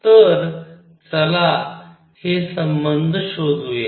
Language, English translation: Marathi, So, let us find this relationship